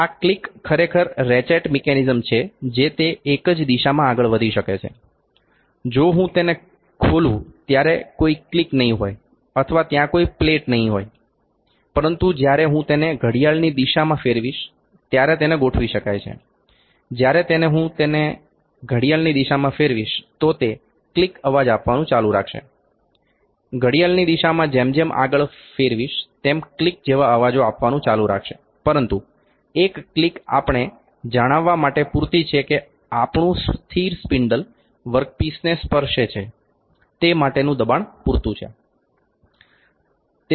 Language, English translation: Gujarati, This click is actually the ratchet mechanism it can move in one direction only if when I open it there is no click or there is no plate, but it can adjust when I rotate it clockwise further it will keep on giving the click noises clockwise, clockwise further it will keep on giving the click voice noises like click, but one click is enough to let us know that the pressure is enough that the work piece or the our moveable, that is our moveable spindles touch the work piece